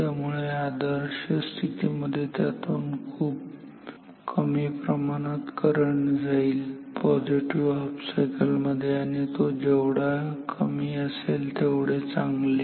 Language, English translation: Marathi, So, ideally very little amount of current flows through this in the positive cycle and the lower the amount, is better